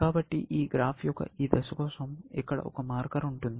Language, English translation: Telugu, So, for this graph, at this stage, I would have a marker here